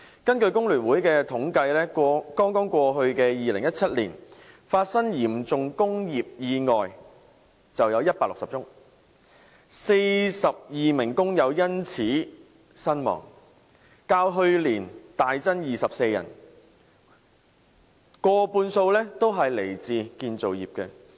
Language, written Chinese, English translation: Cantonese, 根據工聯會的統計，剛剛過去的2017年，發生嚴重工業意外160宗 ，42 名工人因此身亡，較去年大增24人，過半數來自建造業。, FTUs statistics show that in 2017 the past year 42 workers lost their lives in 160 serious industrial accidents registering a drastic increase over the figure of 24 in the previous year . Over half of them came from the construction industry